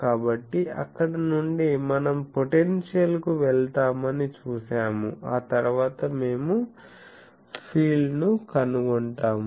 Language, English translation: Telugu, So, from there we have seen we will go to potential and then we will find out the field